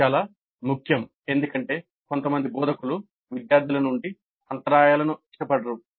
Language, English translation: Telugu, This again very important because some of the instructors do dislike interruptions from the students